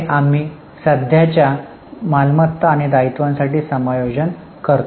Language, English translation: Marathi, There we make adjustment for current assets and liabilities